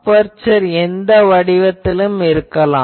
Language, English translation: Tamil, Now, aperture may be of any shape